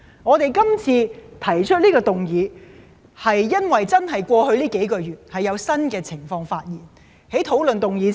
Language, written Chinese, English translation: Cantonese, 我們提出這次休會待續議案，是由於過去數個月有新的情況出現。, We have proposed this adjournment motion because new situations have appeared in the past few months